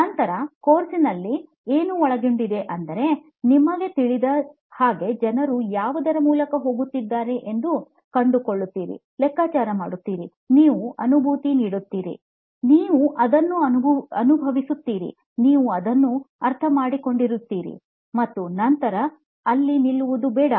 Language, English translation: Kannada, What it is we will cover later in the course as well, once you know what people are going through, you find out, figure it out, you empathise, you feel it, you understand it then do not stop there